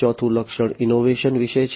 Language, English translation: Gujarati, The fourth feature is about innovation